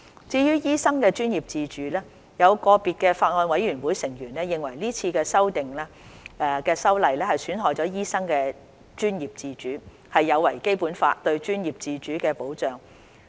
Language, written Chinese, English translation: Cantonese, 至於醫生專業自主，有個別法案委員會成員認為這次修例損害醫生的專業自主，有違《基本法》對專業自主的保障。, As for the professional autonomy of doctors some members of the Bills Committee consider that this legislative amendment exercise will undermine the professional autonomy of doctors and violate the Basic Law that safeguards professional autonomy